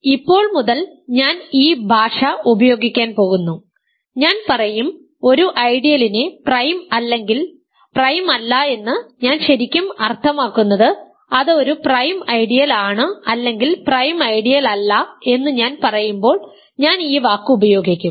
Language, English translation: Malayalam, So, from now on I am going to use this language, I will just say an ideal is prime or an ideal is not prime, I really mean that it is a prime ideal or not a prime ideal when I am talking about ideals I use this word like this